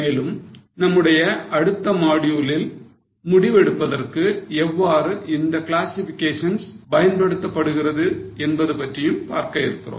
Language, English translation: Tamil, And in the next module, we will also see how these classifications can be used for decision making